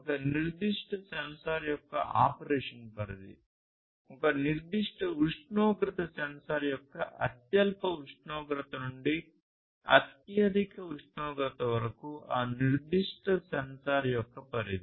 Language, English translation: Telugu, How much is the range of operation of a particular sensor, lowest temperature to highest temperature of a particular temperature sensor is the range of that particular sensor, right